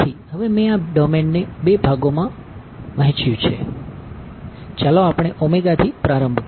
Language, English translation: Gujarati, So, now that I have broken up this domain into 2 parts ok, let us start with omega